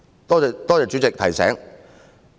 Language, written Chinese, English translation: Cantonese, 多謝主席提醒。, Thank you President for the reminder